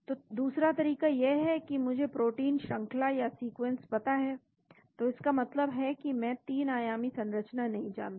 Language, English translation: Hindi, So, second approach is I know the protein sequence so that means, I do not know the 3 dimensional structure